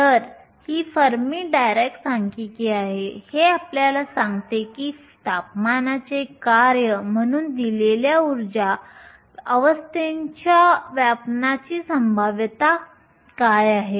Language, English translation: Marathi, So, this is the Fermi Dirac Statistics and this tells you what is the probability of occupation of a given energy state as a function of a temperature